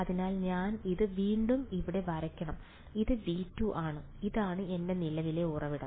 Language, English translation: Malayalam, So, I should draw this again over here, this is v 2 v 1 and this is my current source over here